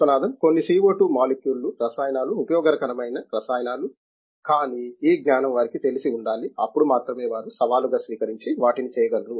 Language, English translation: Telugu, Few molecules are CO2 into chemicals useful chemicals, but this knowledge must be known to them, then only they will be able take up the challenge and do them